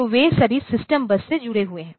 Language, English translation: Hindi, So, they are all connected over the system bus